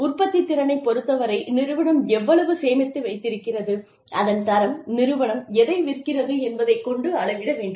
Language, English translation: Tamil, In terms of productivity, how much the company has saved, the quality of the, whatever the company is selling